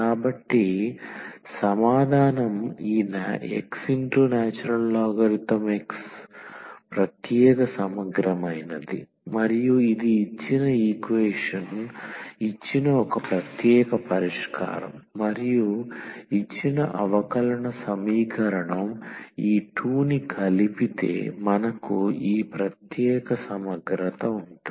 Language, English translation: Telugu, So, we our answer is this x ln x the particular integral and this is one particular solution of the given of the given equation and we have the complimentary function we have this particular integral if we add these 2 we will get the general solution of the given differential equation